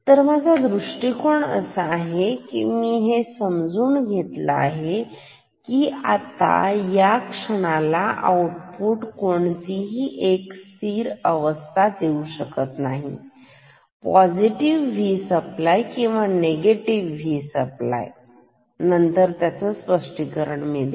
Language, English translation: Marathi, So, my approach will be I will take it granted at this moment that output can take only two stable values positive V supply and negative V supply I will justify that later